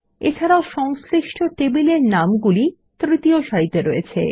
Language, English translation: Bengali, Also the corresponding table names in the third row